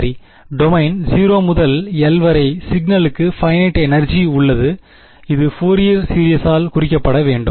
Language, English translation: Tamil, Right, over the domain 0 to l, the signal has finite energy it should be representable by 0 Fourier series